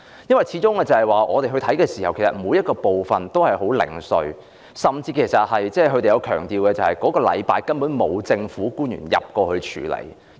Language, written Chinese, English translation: Cantonese, 因為據我們的視察，其實每個部分也很零碎，甚至當區居民強調，風暴過後的那個星期內，根本沒有政府官員前往處理問題。, From our observation these locations are very much scattered . Some residents even told us that no government officials had been there to deal with the problems in the week after the passage of the typhoon